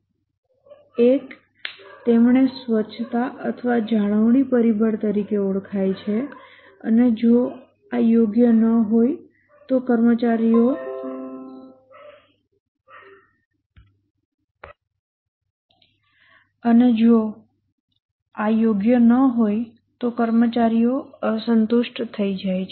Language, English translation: Gujarati, One he called as the hygiene or the maintenance factor and if these are not right, the employees become dissatisfied